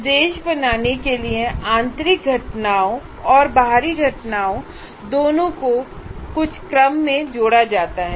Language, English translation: Hindi, So internal events and external events are combined together in a particular sequence to create instruction